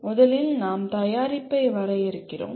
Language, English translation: Tamil, First we define the product